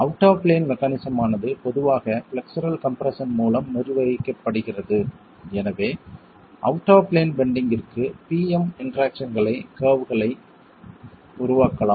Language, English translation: Tamil, The out of plane mechanism is typically governed by flexual compression and so PM interaction curves can be developed for out of plane bending